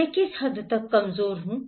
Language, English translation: Hindi, What extent I am vulnerable